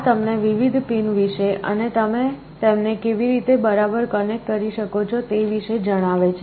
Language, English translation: Gujarati, This tells you about the different pins and exactly how you can connect them